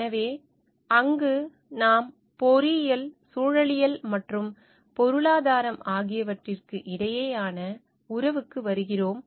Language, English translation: Tamil, So, there we come to the relationship between engineering, ecology and economics